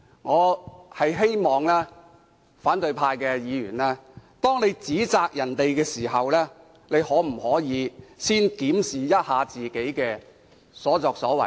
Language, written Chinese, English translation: Cantonese, 我希望反對派議員在指責別人前，先檢討自己的所作所為。, I hope opposition Members will first review their conducts before pointing their fingers at others